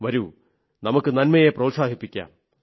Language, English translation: Malayalam, Come, let us take positivity forward